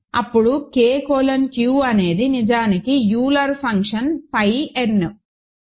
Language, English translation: Telugu, Then K colon Q is actually Euler function phi n